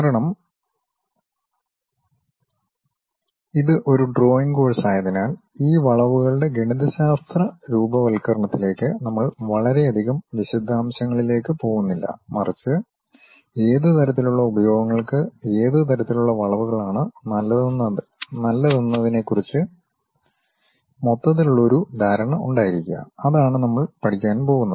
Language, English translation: Malayalam, Because it is a drawing course we are not going too many details into mathematical formulation of these curves ah, but just to have overall idea about what kind of curves are good for what kind of applications, that is the thing what we are going to learn about it